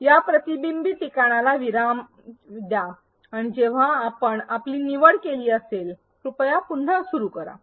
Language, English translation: Marathi, Pause this reflection spot and when you have made your choice; please resume